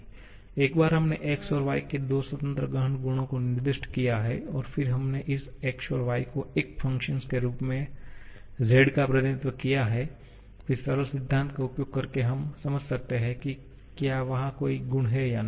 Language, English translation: Hindi, Once, we have specified two independent intensive properties x and y and then we have represented z as a function of this x and y, then using the simple principle we can understand whether there is a property or not